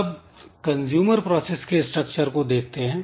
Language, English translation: Hindi, Next the consumer process structure